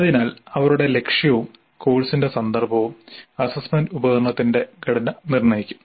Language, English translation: Malayalam, So, they have a purpose and a context and that will determine the structure of the assessment instrument